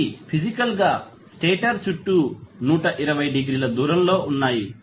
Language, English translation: Telugu, They are physically 120 degree apart around the stator